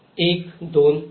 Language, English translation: Marathi, One, two, three